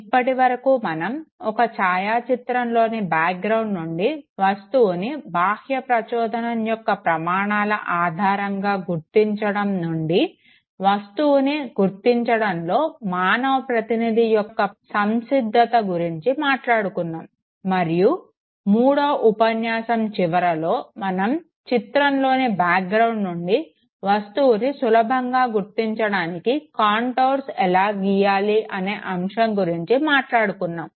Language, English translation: Telugu, Till now we have talked about the what you call extraction of image from the background depending on one the properties of the external stimuli, two, the readiness of the person who is trying to perceive the object, and three, what we were talking towards the end of the third lecture was the idea of drawing the contours so that the image can very easily be extracted out from the background